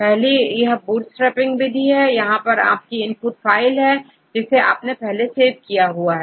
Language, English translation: Hindi, So, one is the bootstraping method here, this is your input file work on we saved in the previous one